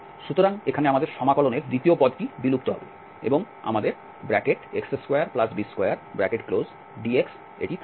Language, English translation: Bengali, So, the second term in our integral here will vanish and we have x square plus this y square dx